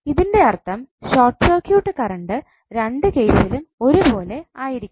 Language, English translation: Malayalam, That means that short circuit current should be same in both of the cases